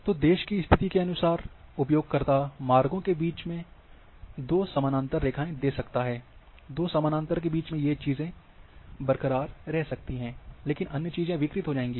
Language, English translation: Hindi, So, between routes two parallels which a user can give, as per the location of the country, between two parallels, these things can be can remain intact, but other things will get distorted